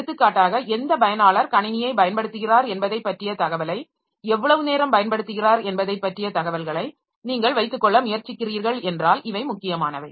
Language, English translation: Tamil, So, we may for example if you are trying to keep the information about which user is using how much time using the system for how much time, then these are important